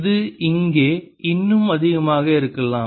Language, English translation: Tamil, it could be even more out here